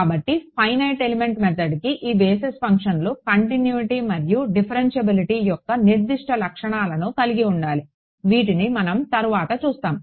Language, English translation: Telugu, So, the finite element method needs that these basis functions they should have certain properties of continuity and differentiability which we will come to later ok